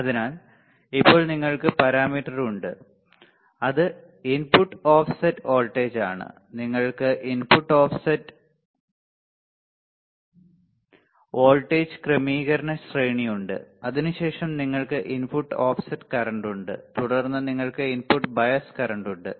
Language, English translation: Malayalam, So, now, you have parameter, which is input offset voltage, you have input offset voltage adjustment range, then you have input offset current, then you have input bias current, we have seen this right, we have also seen the problems using input offset current input bias current and input offset voltage right